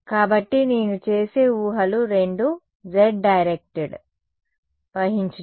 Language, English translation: Telugu, So, the assumptions I will make are both are z directed